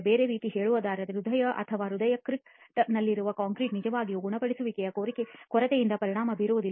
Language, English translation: Kannada, In other words the concrete which is in the heart or heart crete is not really going to be effected by the lack of curing, okay